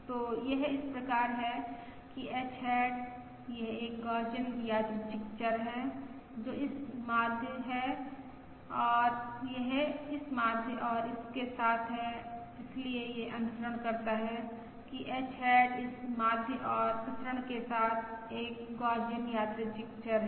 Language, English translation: Hindi, So it follows that H hat is: this is a Gaussian random variable, which is this mean and this with this mean and this